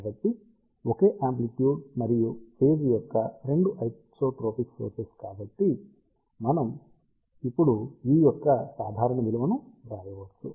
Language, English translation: Telugu, So, 2 isotropic sources of same amplitude and phase so, we can now write normalized value of E